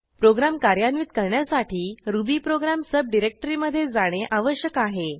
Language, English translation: Marathi, To execute the program, we need to go to the subdirectory rubyprogram